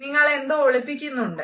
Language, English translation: Malayalam, You are hiding something